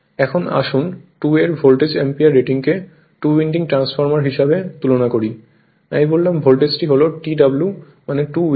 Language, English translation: Bengali, Now, let us compare Volt ampere rating of the 2 right as a two winding transformer, I told you the voltage is your what T W stands for two winding